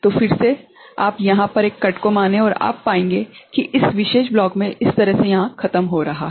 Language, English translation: Hindi, So, again you consider a cut over here and you will find that this is going over here like this in this particular block right